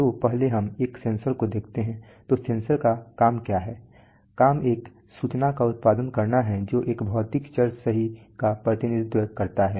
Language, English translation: Hindi, So first let us look at a sensor, so sensor what is the job the job is to produce an information which accurately represents a physical variable right